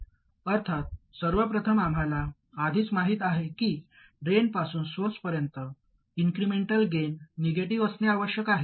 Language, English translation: Marathi, Obviously, first of all, we already know that the incremental gain from the drain to the source must be negative